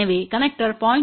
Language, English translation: Tamil, So, connecters may have a loss of 0